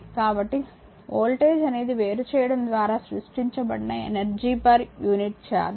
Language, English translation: Telugu, So, voltage is the energy per unit charge created by the separation